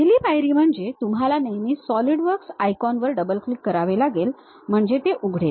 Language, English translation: Marathi, The first step is you always have to double click Solidworks icon, so it opens it